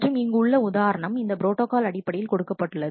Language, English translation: Tamil, And here is an example shown in terms of this protocol